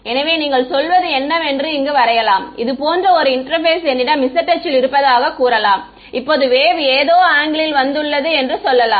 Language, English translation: Tamil, So, let me draw what you are saying you are saying let us say I have an interface like this is my z axis let say now the wave come that it at some angle right